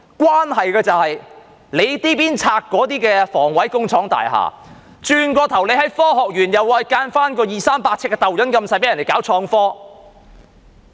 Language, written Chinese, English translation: Cantonese, 關係到這邊廂清拆房委會工廠大廈，那邊廂在科學園興建二三百呎的小型單位讓人搞創科。, The problem lies in the demolition of HA factory estates on the one hand and the construction of small units of 200 to 300 sq ft in the Science Park on the other for people to engage in innovation and technology